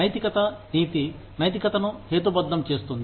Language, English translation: Telugu, Morality ethics, rationalizes morality